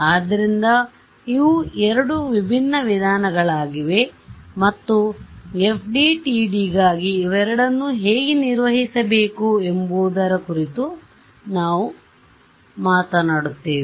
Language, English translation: Kannada, So, these are two different approaches and we will talk about how to handle both of them for FDTD ok